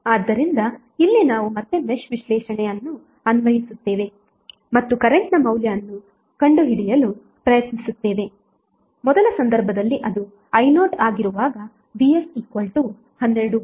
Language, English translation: Kannada, So here we will apply match analysis again and try to find out the current value I0 in first case that is when Vs is equal to 12 volt